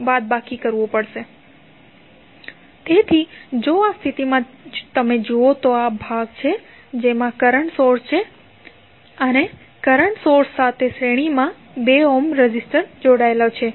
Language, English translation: Gujarati, So, in this case if you see this is the segment which has current source and 2 ohm resistor connected in series with the current source